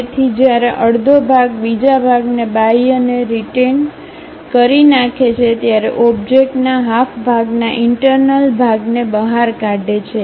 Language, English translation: Gujarati, So, a half section exposes the interior of one half of an object while retaining the exterior of the other half